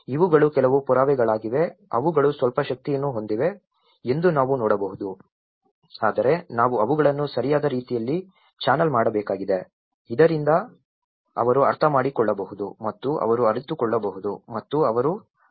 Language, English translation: Kannada, These are some evidences, which we can see that they have some energy but we need to channel them in a right way so that they can understand and they can realize and they work towards it